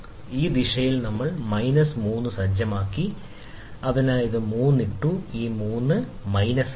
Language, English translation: Malayalam, Again, in this direction, so we set minus 3, so we put 3 here, so 3 this is minus